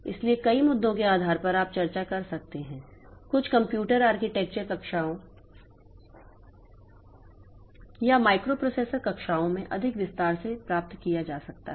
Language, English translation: Hindi, So, based on depending many issues that you can get into the discussion can be obtained in more detail in some computer architecture classes or microprocessor classes